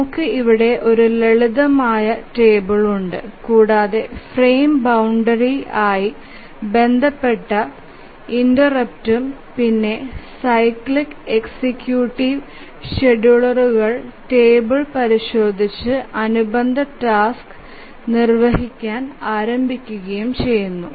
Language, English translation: Malayalam, Here we have a simple table here and the interrupts corresponding to the frame boundaries and the cycli executive simply consults the schedule table and just starts execution of the corresponding task